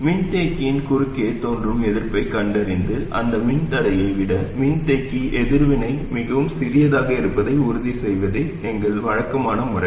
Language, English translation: Tamil, And our usual method is to find the resistance that appears across the capacitor and make sure that the capacity reactants is much smaller than that, much smaller than that resistance